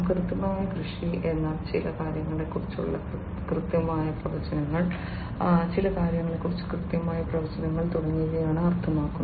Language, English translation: Malayalam, Precision agriculture means like you know coming up with precise predictions about certain things, precise predictions about certain things